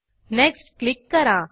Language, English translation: Marathi, Then click on Next